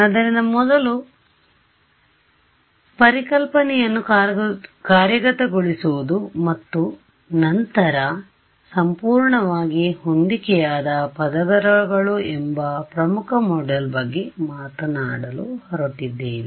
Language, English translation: Kannada, So, the next very important module that we are going to talk about is implementing first conceptualizing and then implementing what are called perfectly matched layers